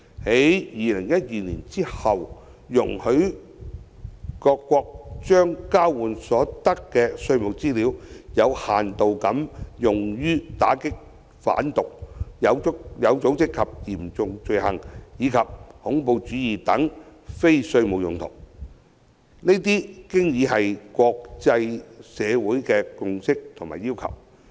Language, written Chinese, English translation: Cantonese, 在2012年後，容許各國將交換所得的稅務資料有限度地用於打擊販毒、有組織和嚴重罪行以及恐怖主義等非稅務用途，這已是國際社會的共識及要求。, Since 2012 it has been the consensus and requirement of the international community to allow countries to use the exchanged tax information for limited non - tax purposes such as combatting drug trafficking organized and serious crimes and terrorist acts